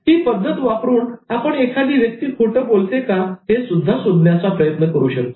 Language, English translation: Marathi, So, using this method, we try to see how you can identify a liar